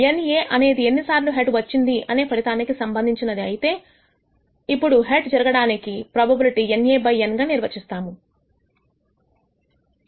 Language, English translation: Telugu, Let us say NA is the number of times that the outcome corresponding to the head occurs, then the probability of head occurring can be defined as NA by N